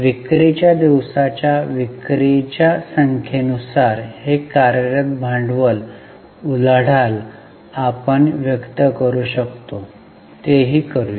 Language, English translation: Marathi, We can express this working capital turnover ratio in terms of number of sales, a number of days of sales